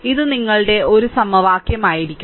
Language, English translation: Malayalam, So, this will be your one equation right